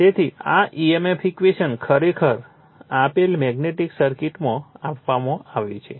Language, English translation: Gujarati, So, this emf equation is given actually in that magnetic circuit I have given